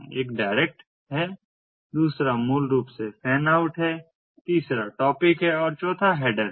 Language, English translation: Hindi, one is the direct, the second is basically the fan out, the third is the topic and fourth is the header